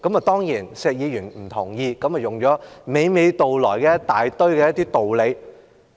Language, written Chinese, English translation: Cantonese, 當然，石議員不同意這項要求，便娓娓道來一大堆道理。, Of course Mr SHEK does not agree to this demand and has thus poured out lots of arguments against it